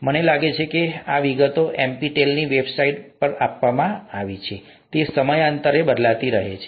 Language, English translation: Gujarati, I think the details are given in the NPTEL website, they keep changing from time to time